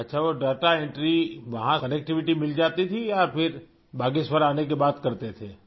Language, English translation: Urdu, O…was connectivity available there or you would do it after returning to Bageshwar